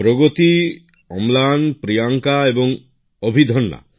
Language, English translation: Bengali, There should be Pragati, Amlan, Priyanka and Abhidanya